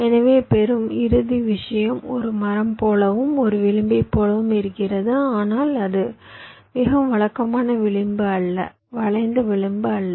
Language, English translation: Tamil, so you see the final thing that you get looks like a tree, looks like an edge, but it is not a very regular edge, a skewed edge